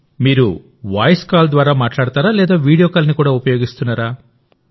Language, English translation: Telugu, Do you talk through Voice Call or do you also use Video Call